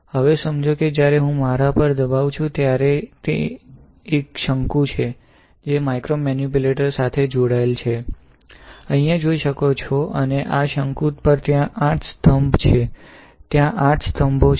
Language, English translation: Gujarati, Now, you understand that when I am pressing my there is a cone right, which is connected to a micromanipulator as you can see here; and these on this cone there are 8 pillars right, 8 pillars are there